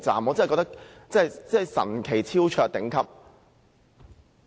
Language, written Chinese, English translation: Cantonese, 我認為真是神奇、超卓、頂級。, How amazing superb and magnificent it is!